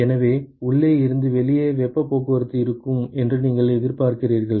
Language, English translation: Tamil, So, you expect that there is heat transport from inside to the outside